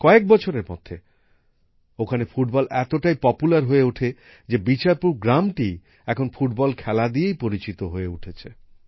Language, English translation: Bengali, Within a few years, football became so popular that Bicharpur village itself was identified with football